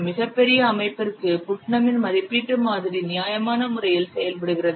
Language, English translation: Tamil, Putnam's estimation model, it works reasonably well for very large system